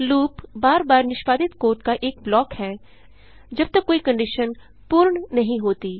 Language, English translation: Hindi, Loop is a block of code executed repeatedly till a certain condition is satisfied